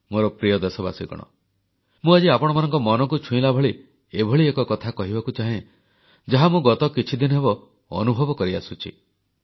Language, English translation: Odia, My dear countrymen, today I wish to narrate a heart rending experience with you which I've beenwanting to do past few days